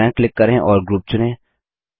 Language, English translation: Hindi, Right click and select Group